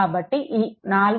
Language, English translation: Telugu, 5, so, 2